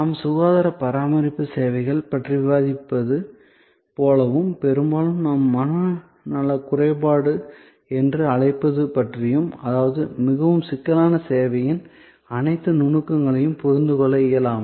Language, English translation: Tamil, Like I were discussing about health care services and often what we call mental impalpability; that means, the inability to understand all the nuances of a very complex service